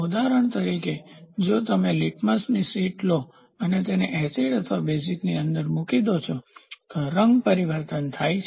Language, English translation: Gujarati, For example, if you take the litmus sheet and put it inside an acid or base the colour changes